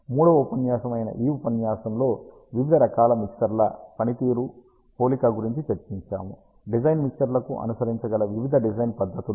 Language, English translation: Telugu, And in this lecture which is the third lecture we discussed the performance comparison of various types of mixers, various design methodologies that can be followed to design mixers